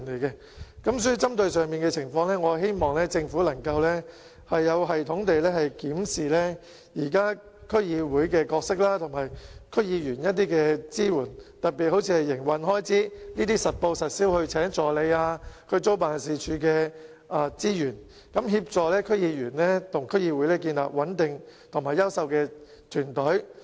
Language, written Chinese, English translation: Cantonese, 因此，針對上述情況，我希望政府能夠有系統地檢視區議會現時的角色及對區議員的支援，特別是調整如聘請助理、租用辦事處等實報實銷的營運開支，協助區議員與區議會建立穩定及優秀的團隊。, Therefore to address this situation I hope that the Government can systematically review the role of DCs and the support for DC members . Particularly it is necessary to make adjustments to the accountable operating expenses for hiring assistants renting offices and so on to assist DC members and DCs to build up stable and quality teams at work